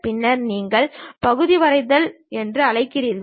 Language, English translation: Tamil, Then, you call part drawing